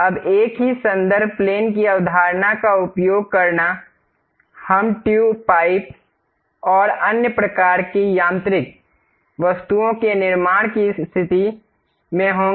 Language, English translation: Hindi, Now, using the same reference planes concept; we will be in a position to construct tubes, pipes and other kind of mechanical objects